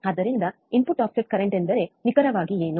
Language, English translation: Kannada, So, what exactly does input offset current means um